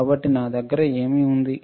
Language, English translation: Telugu, So, what I have